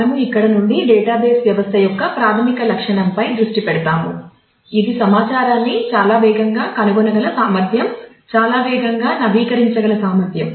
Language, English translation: Telugu, We will move on from there to and focus on the basic feature of a database system, which is the ability to find information in a very fast manner the ability to update in a very fast manner